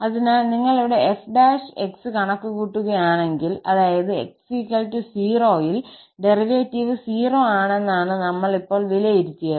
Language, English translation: Malayalam, So, if you compute here f prime , if you compute f prime that means at x equal to 0, the derivative is 0 we have just evaluated